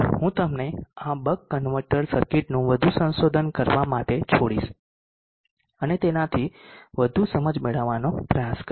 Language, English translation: Gujarati, I will leave it to you to the further explore this bug converter circuit and try to get more insight out of it